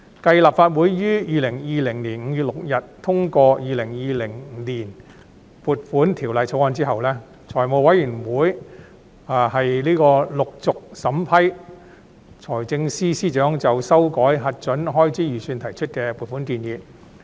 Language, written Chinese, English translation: Cantonese, 繼立法會於2020年5月6日通過《2020年撥款條例草案》後，財務委員會陸續審批財政司司長就修改核准開支預算提出的撥款建議。, Following the passage of the Appropriation Bill 2020 on 6 May 2020 the Finance Committee started to examine the funding requests submitted by the Financial Secretary for changing the approved Estimates of Expenditure